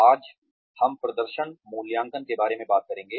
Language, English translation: Hindi, Today, we will talk about, performance evaluation